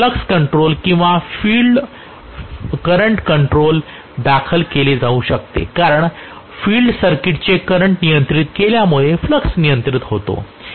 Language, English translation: Marathi, It can be filed flux control or field current control because flux is controlled by having the current of the field circuit controlled